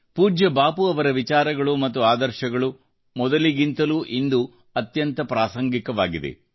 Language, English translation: Kannada, Revered Bapu's thoughts and ideals are more relevant now than earlier